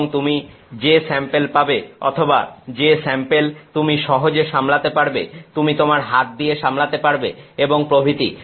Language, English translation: Bengali, And, the samples that you get or samples that you can handle easily you can handle in your hand and so on